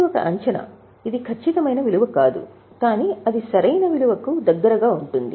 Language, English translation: Telugu, It is not an exact value but it will be close to the correct value